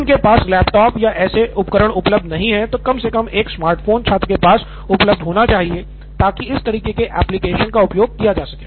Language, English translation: Hindi, So if a laptop or such devices are not available, at least a smartphone should be available with the student so that these kind of applications can be made use of